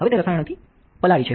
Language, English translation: Gujarati, Now it is soaked with chemicals